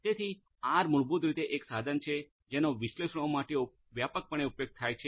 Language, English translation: Gujarati, So, R is basically a tool that is widely used for analytics